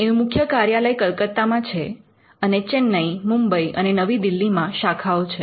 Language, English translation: Gujarati, The headquarters is in Kolkata, and there are branches in Chennai, Mumbai, and New Delhi